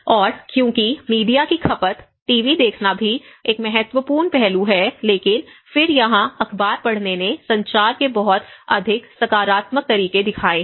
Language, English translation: Hindi, And because media consumption, TV watching is also an important aspect but then here the newspaper reading have shown much more positive ways of communication